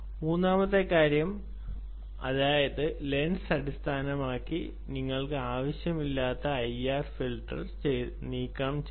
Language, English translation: Malayalam, the third thing: that means the lens ah should basically ah remove the i r filter, which you don't want ah